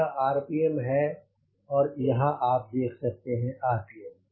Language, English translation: Hindi, you can see the rpm here